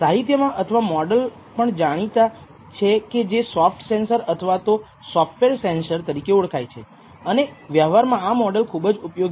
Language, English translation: Gujarati, So, such a model is also known in the literature as a soft sensor or the software sensor and this model is very useful in practice